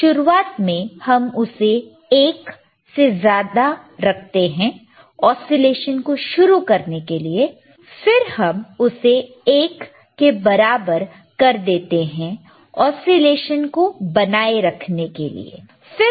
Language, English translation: Hindi, iInitially we keep it greater than 1 to start the oscillations and then we make it equal to 1 to sustain the oscillations right